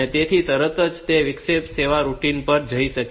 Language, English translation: Gujarati, So, it can immediately go to that interrupt service routine